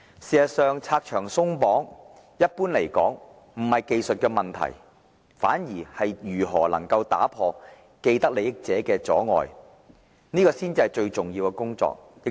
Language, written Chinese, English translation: Cantonese, 事實上，"拆牆鬆綁"一般而言技術上沒有問題，反而如何打破既得利益者的阻礙才是最重要的工作。, In fact the removal of red tape is usually not that difficult technically . The key is how to break down the barriers of vested interests